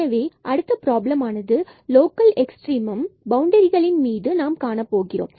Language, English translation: Tamil, So, the next problem will be that we will look now for the local extrema on the boundary the x square plus y square is equal to 1